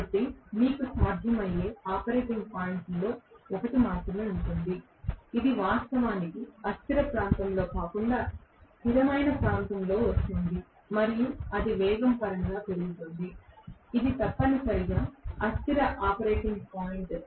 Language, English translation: Telugu, So you will have only one of operating points possible which is actually coming over in the stable region rather than in the unstable region where it is just going and going increasing in terms of it speed, that is essentially the unstable operating point